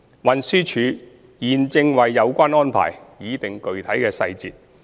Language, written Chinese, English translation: Cantonese, 運輸署現正為有關安排擬定具體細節。, TD is drawing up the specific details of the arrangement